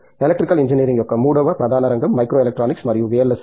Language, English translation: Telugu, Then the third one, third major area of Electrical Engineering is micro electronics and VLSI